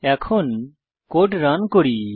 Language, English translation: Bengali, Now let us run the code